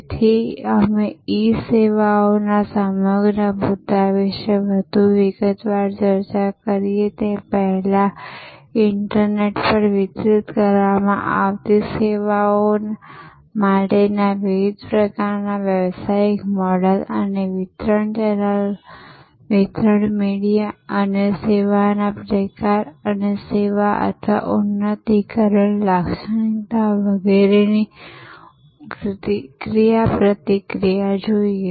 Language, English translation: Gujarati, So, before we discuss in more detail about the whole issue of E services, different types of business models for services delivered over the internet and interactivity between the delivery channel, delivery media and the type of service and the characteristics of the service or enhancement of the service value